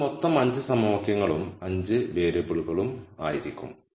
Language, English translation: Malayalam, So, that will be a total of 5 equations and 5 variables